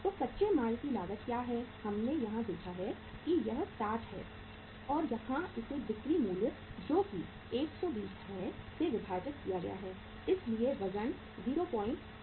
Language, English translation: Hindi, So what is the cost of raw material, we have seen here is that is 60 divided by the the here the uh selling price is 120 so weight is that is 0